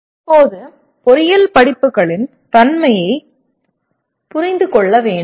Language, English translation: Tamil, And now we need to understand the nature of engineering courses